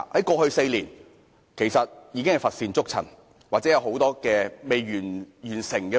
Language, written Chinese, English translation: Cantonese, 過去4年根本乏善足陳，或仍有很多尚未完成的工作。, Nothing commendable has been achieved over the past four years or I should say there are still a lot of outstanding tasks